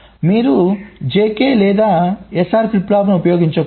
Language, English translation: Telugu, so you should not use j k or s r flip flops